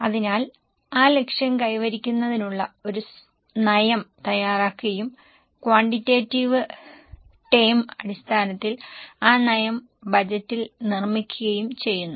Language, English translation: Malayalam, So, a policy to achieve that target is prepared and that policy in quantitative terms is built up in the budget